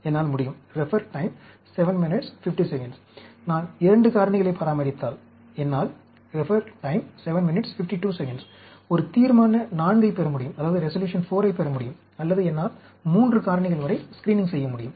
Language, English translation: Tamil, I can, if I maintain 2 factors, I can get a Resolution IV, or I can do, go up to 3 factors for screening